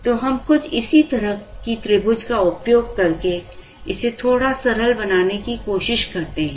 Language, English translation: Hindi, So, we try and simplify this a little bit using some similar triangle property